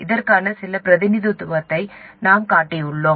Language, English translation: Tamil, I have shown some representation of that